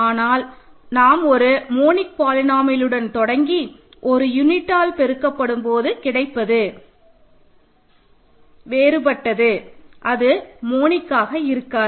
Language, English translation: Tamil, That means a field element, but it will you start with a monic polynomial and multiplied by a unit which is different from one it will no longer be monic